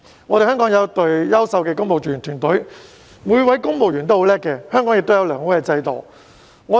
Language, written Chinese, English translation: Cantonese, 香港有一隊優秀的公務員團隊，每位公務員也很優秀，香港亦有良好的制度。, Hong Kong has an excellent civil service . All civil servants are very outstanding . And Hong Kong also has a good system